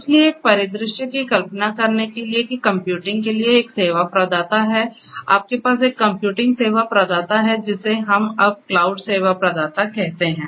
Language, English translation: Hindi, So, instead imagine a scenario that there is a service provider for computing, you have a computing service provider which we call as the cloud service provider now